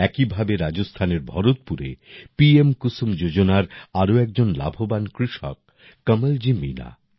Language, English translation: Bengali, Similarly, in Bharatpur, Rajasthan, another beneficiary farmer of 'KusumYojana' is Kamalji Meena